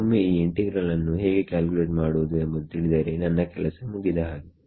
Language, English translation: Kannada, once I know how to calculate this integral I am done